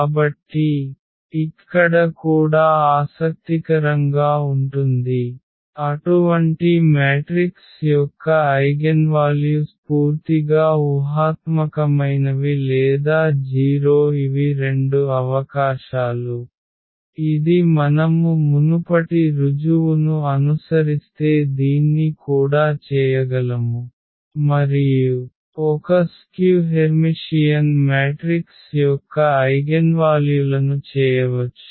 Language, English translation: Telugu, So, this is also interesting here that eigenvalues of such matrices are either purely imaginary or 0 that is the two possibilities, which again if you follow the earlier proof we can also do this one and the eigenvalues of the a skew Hermitian matrix